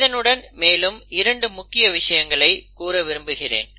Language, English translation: Tamil, But, I want to cover 2 other important things